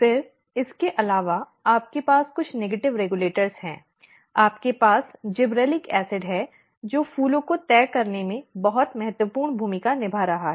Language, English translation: Hindi, Then, apart from that you have some negative regulators you have gibberellic acid which is playing very important role in deciding the flowers